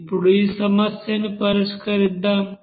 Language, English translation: Telugu, Let us solve this equation